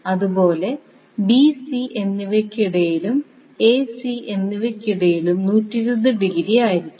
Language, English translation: Malayalam, Similarly, between B and C and between A and C will be also 120 degree